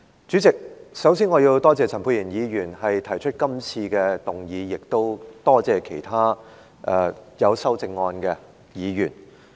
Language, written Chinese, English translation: Cantonese, 主席，首先，我要多謝陳沛然議員提出這項議案，亦多謝其他提出修正案的議員。, President first I must thank Dr Pierre CHAN for proposing this motion and I also wish to thank Members who have proposed the amendments